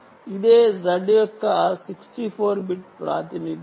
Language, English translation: Telugu, sixty four bit representation